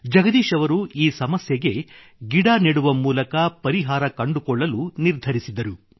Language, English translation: Kannada, Jagdish ji decided to solve the crisis through tree plantation